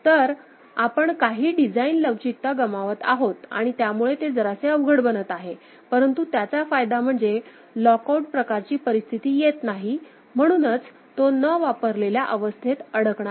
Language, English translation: Marathi, So, we are sacrificing some of the design flexibility and how that becoming little bit more complex, but the benefit is that there is no lock out kind of situation ok, so, no getting trapped into the unused state